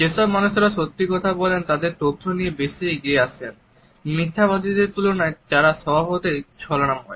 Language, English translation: Bengali, People who are telling the truth tend to be more forth coming with information then liars who are naturally evasive